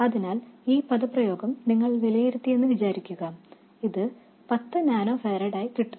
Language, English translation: Malayalam, So, let's say you evaluate this expression and this comes out to 10 nanofarids